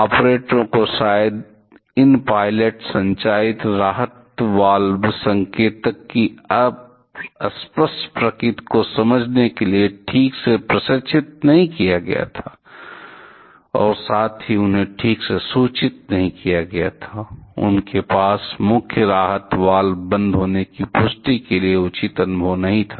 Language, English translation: Hindi, The operators probably were not properly trained to understand the ambiguous nature of these pilot operated relief valve indicator and also they were not properly informed of, they did not have proper experience to look for attentive confirmation that the main relief valve was closed